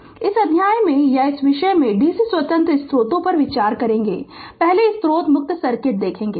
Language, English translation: Hindi, So, in this chapter or in this topic we will consider dc independent sources right first will see the source free circuit